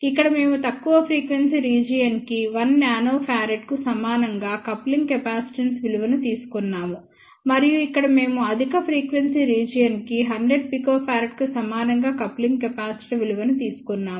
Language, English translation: Telugu, Here we have taken coupling capacitance values to be equal to 1 nanofarad which is for the lower frequency region and here we have taken coupling capacitor value to be equal to 100 picofarad for higher frequency region